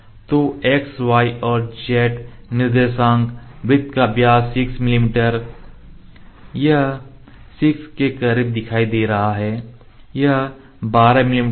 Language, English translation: Hindi, So, x y and z coordinates and diameter of the circle it is 6 mm or dia